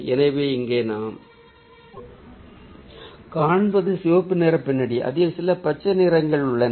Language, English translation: Tamil, so what we see here is a red background with some green in it